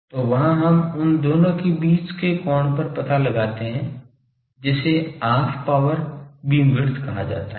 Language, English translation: Hindi, So, there we locate at the angle between them that is called the Half Power Beamwidth